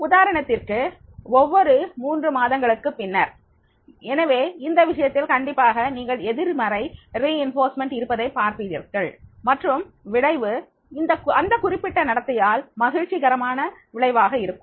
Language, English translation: Tamil, For example, after every three months, so therefore in that case definitely you will find that is the positive reinforcement is there and there will be the pleasable outcome resulting from a particular behavior